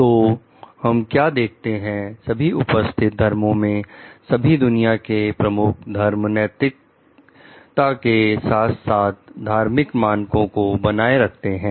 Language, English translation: Hindi, So, what we see, like most existing religions, so at all major religions of the world uphold ethical as well as religious standards